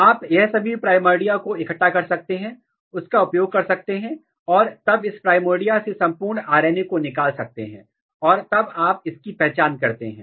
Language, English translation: Hindi, You can use and you can collect all these primordia and then extract total RNA from this primordia and then you can identify